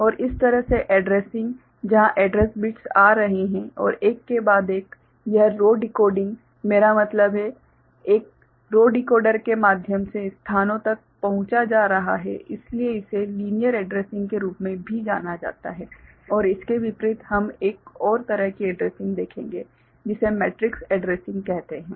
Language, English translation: Hindi, And this kind of addressing where the address bits are coming and one after another; these row decoding I mean, through a row decoder the locations are being accessed; so this is also known as linear addressing ok and in contrast to that we shall see another kind of addressing which is called matrix addressing ok